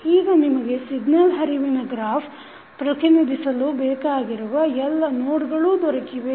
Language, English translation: Kannada, So, now you have got all the nodes which are required to represent the signal flow graph